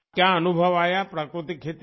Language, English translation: Hindi, What experience did you have in natural farming